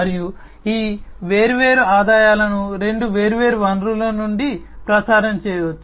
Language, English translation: Telugu, And these different revenues could be streamed from two different sources